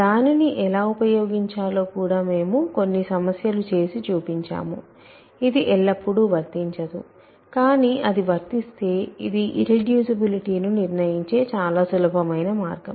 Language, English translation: Telugu, And we also did some problems on how to use it, it is not always applicable, but when its applicable, it is a very easy way of determining irreducibility